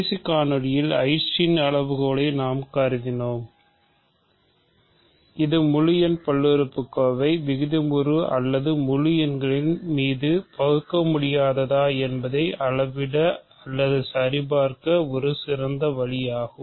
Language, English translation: Tamil, In the last video we considered the Eisenstein criterion which is a good way of measuring or checking whether a polynomial integer polynomial is irreducible either over the rationals or the integers